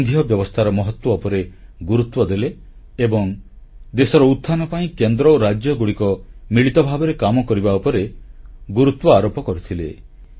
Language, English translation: Odia, He had talked about the importance of federalism, federal system and stressed on Center and states working together for the upliftment of the country